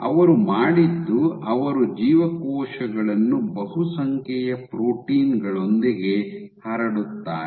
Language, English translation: Kannada, So, what they did was the transmitted cells with a multitude of proteins